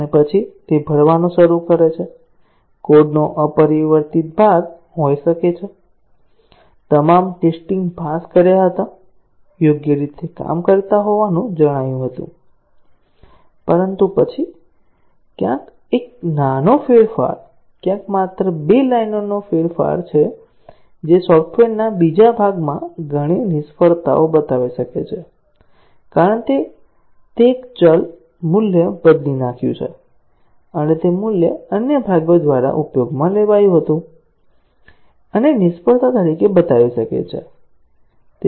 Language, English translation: Gujarati, And then, those start to fill; the unchanged part of the code may be, had passed all the tests, was found to be working correctly, But then, a small change somewhere just two lines of change that may show up as many failures in the other part of the software, because it changed a variable value and that value was used by the other parts; and can show up as failures